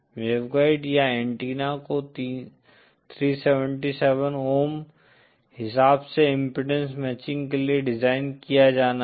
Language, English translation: Hindi, The waveguide or the antenna has to be designed to produce and impedance matching of 377 ohm